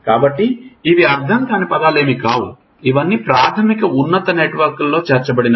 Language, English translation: Telugu, So, these are not abstract terms they are incorporated into your basic higher networks